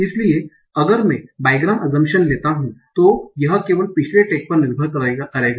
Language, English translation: Hindi, So if I make the bygram assumption, it will depend only on the previous tag